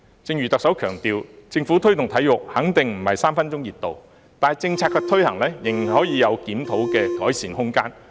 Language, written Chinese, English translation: Cantonese, 正如特首強調，政府推動體育"肯定不是3分鐘熱度"，但政策的推行仍有檢討和改善空間。, As stressed by the Chief Executive the Governments promotion of sports will certainly not last for just a while but there is still room for review and improvement in policy implementation